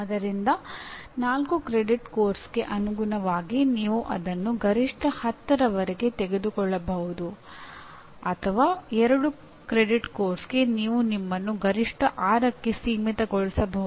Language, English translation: Kannada, So correspondingly for a 4 credit course you may take it up to almost maximum 10 or for a 2 credit course you can limit yourself to maximum number of 6